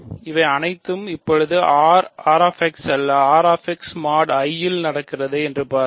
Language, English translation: Tamil, See all this is happening now in R x not R x mod I